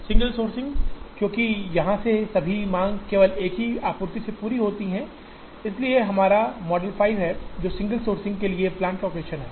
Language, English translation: Hindi, Single sourcing, because all the demand from here is met from only one supply, so that is our model 5, which is capacitated plant location with single sourcing